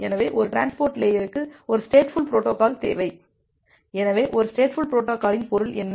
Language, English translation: Tamil, So, we need a stateful protocol for a transport layer, so what is mean by a stateful protocol